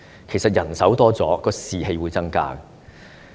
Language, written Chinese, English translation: Cantonese, 其實，增加醫護人手，便可增加士氣。, In fact increasing healthcare manpower can boost staff morale